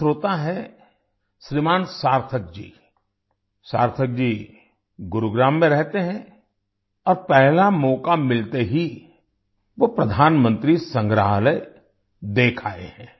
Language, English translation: Hindi, One such listener is Shrimaan Sarthak ji; Sarthak ji lives in Gurugram and has visited the Pradhanmantri Sangrahalaya at the very first opportunity